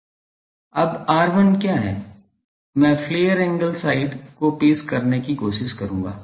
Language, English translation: Hindi, Now, what is R1 I will try to introduce the flare angle side